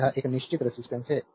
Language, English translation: Hindi, So, this is a fixed resistance R